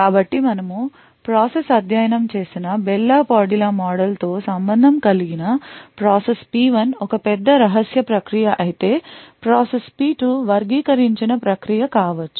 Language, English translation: Telugu, So, relating this to the Bell la Padula model that we have studied process P1 may be a top secret process while process P2 may be an unclassified process